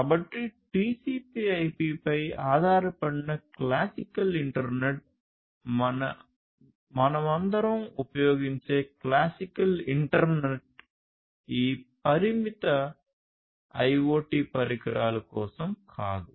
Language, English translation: Telugu, So, classical internet that the one that is based on TCP IP; the classical internet that we all use is not meant for these constraint IoT devices